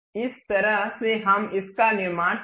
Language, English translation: Hindi, This is the way we construct it